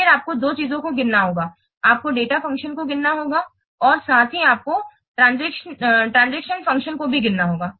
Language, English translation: Hindi, The you have to count the data functions as well as you have to count the transaction functions